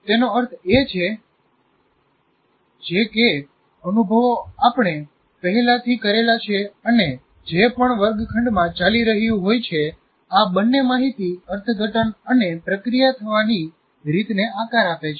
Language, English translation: Gujarati, That means these experiences through which we have gone through already and whatever there is going on in the classroom, they shape the way we interpret and process information